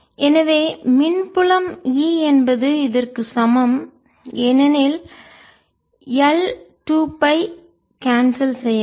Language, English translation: Tamil, so the electric field e is equal to, because l two pi would be cancelled out